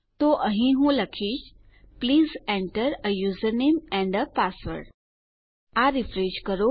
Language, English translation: Gujarati, So here Ill say Please enter a user name and a password